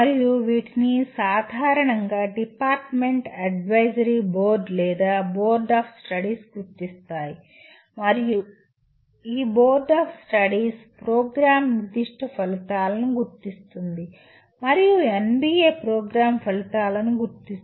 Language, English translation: Telugu, And these are generally are identified by a department advisory board or a Board of Studies and this Board of Studies identifies the Program Specific Outcomes and whereas NBA has identifies the Program Outcomes